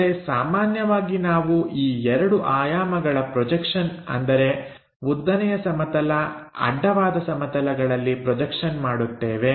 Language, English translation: Kannada, But, usually we go with this 2 dimensional projections like on vertical plane, horizontal plane